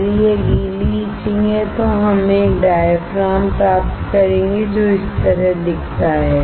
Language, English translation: Hindi, If it is wet etching, we will obtain a diaphragm which looks like this